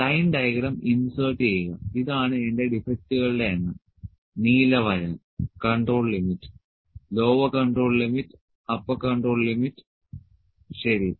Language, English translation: Malayalam, Insert a line diagram, so this is my number of defects blue line, control limit, lower control limit and upper control limit, ok